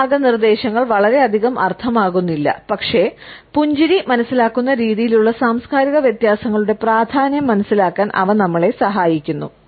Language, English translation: Malayalam, These guidelines may not mean too much, but they help us to understand, the significance of cultural differences in the way the smile is perceived